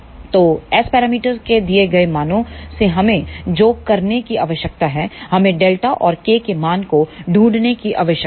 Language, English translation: Hindi, So, for the given values of S parameters what we need to do we need to find the value of delta and K